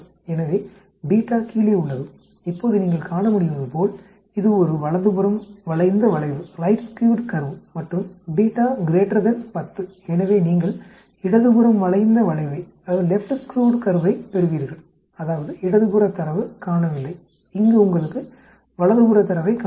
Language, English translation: Tamil, So beta lower, now you can see this it is a right skewed curve and beta is greater than 10, so you get a left skewed curve that means, data is missing on the left, here you have the data missing on the right